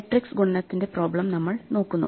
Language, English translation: Malayalam, We look at the problem of matrix multiplication